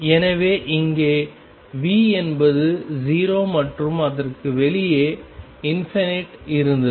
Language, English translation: Tamil, So, the here V was 0 and outside it was infinity